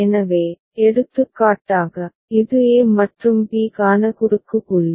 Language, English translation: Tamil, So, for example, this is the cross point for a and b